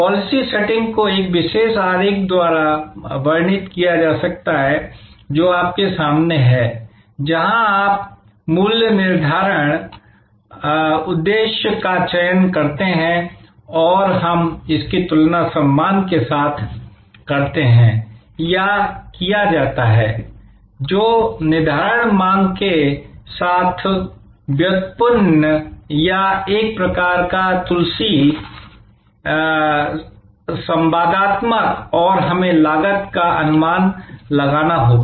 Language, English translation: Hindi, The policy setting can be described by this particular diagram which is in front of you, where you select the pricing objective and we compare that with respect to or rather that is derived or sort of interactive with the determining demand and we have to estimate cost